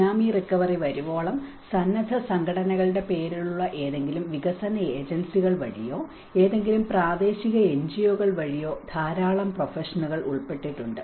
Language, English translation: Malayalam, Until the Tsunami recovery, there has been a lot of professionals get involved either in the terms of voluntary organizations or through any development agencies or any local NGOs